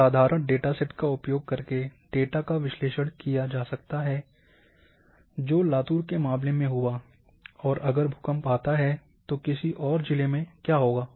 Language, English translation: Hindi, Using a simple dataset one can analyze data that would have happened in case of Latur and what would happen in case of in some other district, if at all the earthquake occurs